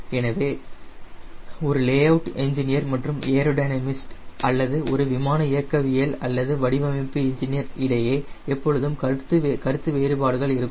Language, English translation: Tamil, so there is a always the conflict between a layout engineer and a aerodynamics or a flight mechanics or designer engineer